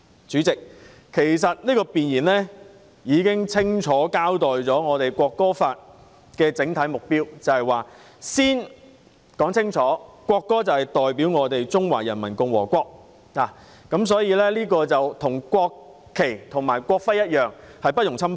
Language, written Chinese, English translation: Cantonese, 主席，弁言已經清楚交代《條例草案》的整體目標，清楚說明國歌代表中華人民共和國，國歌與國旗、國徽一樣，不容侵犯。, Chairman the Preamble already clearly states the overall objective of the Bill and clearly explains that the national anthem represents the Peoples Republic of China; and the national anthem is inviolable as are the national flag and the national emblem